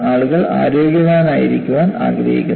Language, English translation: Malayalam, People want to remain healthy